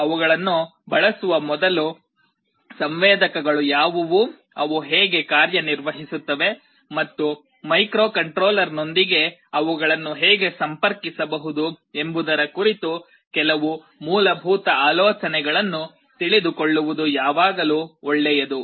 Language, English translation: Kannada, Before using them, it is always good to know what the sensors are, how they work and some basic idea as to how they can be interfaced with the microcontroller